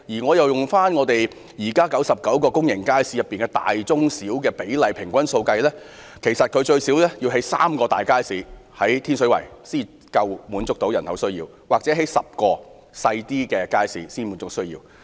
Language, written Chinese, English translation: Cantonese, 按現時99個大、中、小型公營街市比例平均數計算，其實天水圍需設有最少3個大型街市或10個小型街市，才能滿足該區人口的需要。, Based on the current average of the 99 public markets of large medium and small sizes there should be at least 3 large markets or 10 small markets in Tin Shui Wai if the demand of the district is to be met . The situation in Tung Chung is also very similar